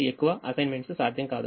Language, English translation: Telugu, no more assignments are possible